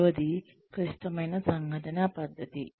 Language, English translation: Telugu, The third one is critical incident method